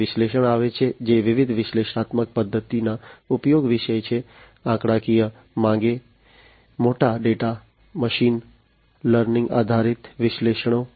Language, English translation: Gujarati, Then comes the analysis which is about use of different analytical method statistical wants big data, machine learning based analytics and so on